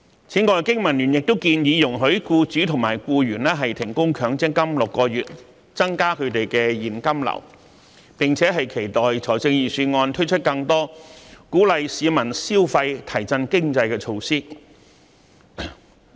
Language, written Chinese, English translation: Cantonese, 此外，經民聯亦建議容許僱主及僱員停供強積金6個月，以增加他們的現金流，並期待預算案推出更多鼓勵市民消費及提振經濟的措施。, Besides BPA suggests that employers and employees should be allowed to suspend making MPF contributions for six months so that there will be an increase in their cashflow . It is also our expectation that the Budget will put forward more measures to stimulate consumption and boost the economy